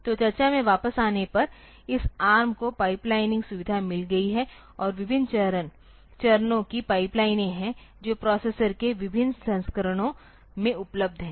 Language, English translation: Hindi, So, so coming back to the discussion this has, so, ARM has got this a pipelining feature and there are various number of stages of pipelines that are available in different versions of the processor